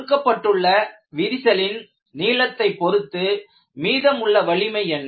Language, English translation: Tamil, For a given crack length, what is the residual strength